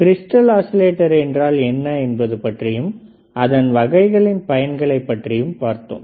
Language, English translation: Tamil, We have then seen what are the crystal oscillators, and how what are kind of crystal oscillators that can be used